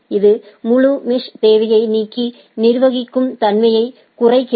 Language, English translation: Tamil, This removes the full mesh requirement and reduces the manageability